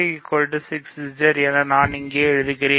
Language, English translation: Tamil, So, I will write that here, IJ is 6Z ok